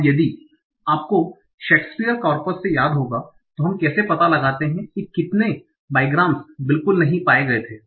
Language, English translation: Hindi, Now, if you remember from Shakespeare's corpus, so we, how do we find out how many bygams did not occur at all